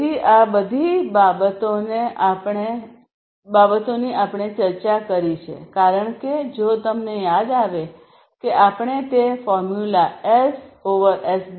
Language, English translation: Gujarati, So, all of these things we have discussed because if you recall that we started with that formula S over SD